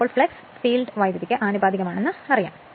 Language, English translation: Malayalam, So, we know that flux is proportional to the field current